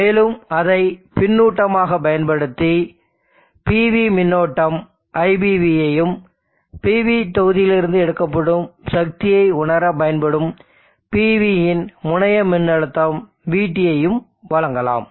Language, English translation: Tamil, And use that as a feedback you also provide the PB current IPB, and also the terminal voltage of the PV, VB which will be used for sensing the power that is being drawn from the PV module